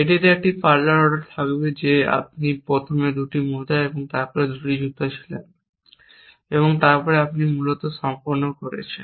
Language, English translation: Bengali, It will have a parlor order that you first were the 2 socks and then you were the 2 shoes and then you are done essentially